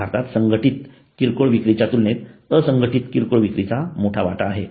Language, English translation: Marathi, In India unorganized retailing has major stake in comparison to organized retail